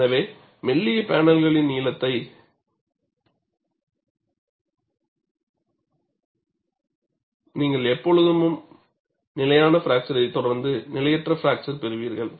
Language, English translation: Tamil, So, in thin panels, you will always have a stable fracture, followed by unstable fracture